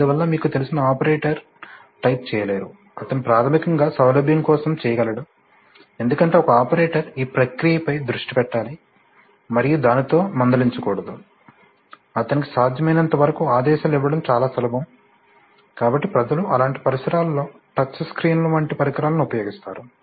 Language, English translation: Telugu, So that the operator you know did not type, he can just, for basically convenience because an operator has to concentrate on the process and should not be bogged down with, you know, it should be as easy for him to give commands as possible, so people use you know devices like touch screens in such environments